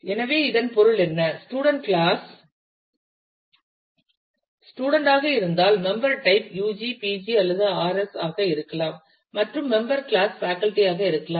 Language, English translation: Tamil, So, what it will mean that the; if the student class is student then the member type could be u g, p g or r s and if the member class is faculty